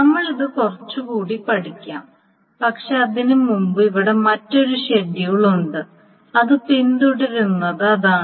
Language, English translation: Malayalam, Now we will study on this a little bit more but before that here is another schedule and which is the following